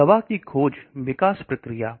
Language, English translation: Hindi, So the drug discovery/development process